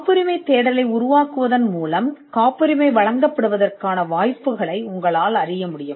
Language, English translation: Tamil, By generating a patentability search, you would know the chances of a patent being granted